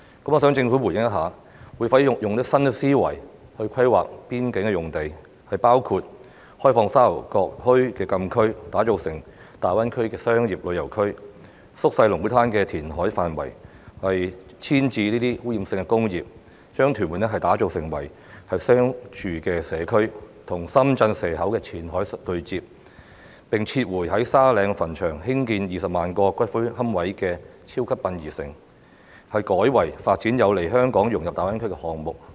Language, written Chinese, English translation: Cantonese, 我想政府回應一下，會否用新思維規劃邊境用地，包括開放沙頭角墟的禁區，打造成大灣區的商業旅遊區；縮小龍鼓灘的填海範圍，遷移這些污染性工業，將屯門打造成為商住社區，與深圳蛇口的前海對接；並撤回在沙嶺墳場興建20萬個骨灰龕位的超級殯儀城，改為發展有利香港融入大灣區的項目？, I would like the Government to respond to the following questions Will it adopt a new mindset in planning the development of the border zone including opening up the Sha Tau Kok FCA to be developed into a commercial and tourism hub for the Greater Bay Area; downscaling the reclamation works at Lung Kwu Tan and moving polluting industries away from the area so as to transform Tuen Mun into a commercial and residential district to connect with Qianhai in Shekou Shenzhen; and withdrawing the large - scale columbarium development at Sandy Ridge Cemetery which involved the construction of about 200 000 niches and instead developing projects that will facilitate Hong Kongs integration into the Greater Bay Area?